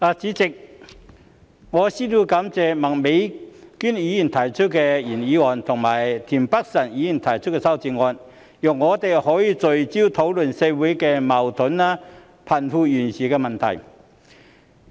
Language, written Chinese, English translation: Cantonese, 代理主席，我先要感謝麥美娟議員提出原議案，以及田北辰議員提出修正案，讓我們可以聚焦討論社會的矛盾和貧富懸殊問題。, Deputy President I would like to thank Ms Alice MAK for moving the original motion and Mr Michael TIEN for proposing the amendment so that we can focus our discussion on the conflicts in society and the disparity between the rich and the poor